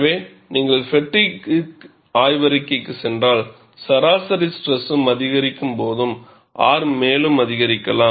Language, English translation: Tamil, So, if you go to fatigue literature, when the mean stress increases, R also would increase